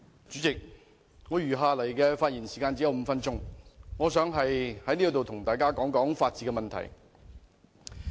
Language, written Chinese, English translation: Cantonese, 主席，我只餘下5分鐘發言時間，我想在此與大家談談法治問題。, President I have got only five minutes left to speak . I wish to talk about the rule of law with Members